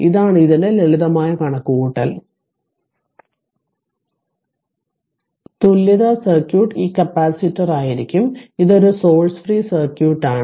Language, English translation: Malayalam, Therefore, equal equivalence circuit will be this capacitor it is a source free circuit